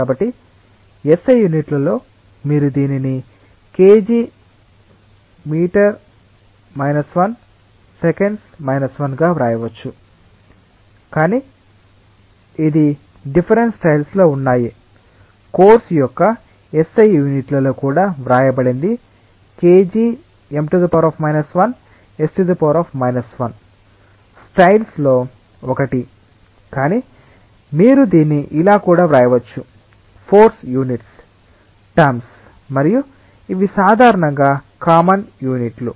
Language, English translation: Telugu, So, in S I units you can write this as kg per meter second, but there are different styles in which this is written also in S I units of course, kg per meter seconds is one of the styles, but you can also write it in terms of force units and those are typically more common units